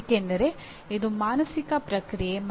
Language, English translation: Kannada, Because it is a mental process